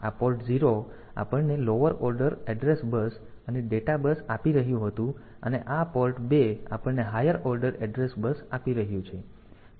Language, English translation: Gujarati, So, this port 0 was giving us the lower order address bus and the data bus and this port 2 is giving us the higher order address bus